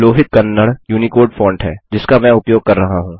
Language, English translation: Hindi, Lohit Kannada is the UNICODE font that I am using